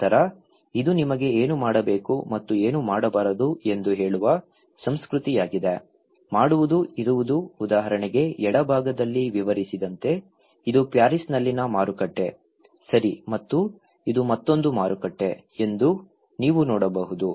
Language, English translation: Kannada, Then, this is a culture that tells you what to do and what not to do, doing, being, explaining like for example in the left hand side, you can see that this is a market in Paris, okay and this is another market in US, they are doing the same thing, they all came in a market